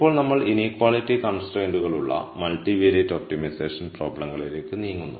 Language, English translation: Malayalam, Now we move on to multivariate optimization problems with inequality constraints